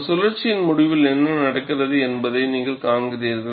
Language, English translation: Tamil, You are seeing, at the end of one cycle what happens; after several cycles, what happens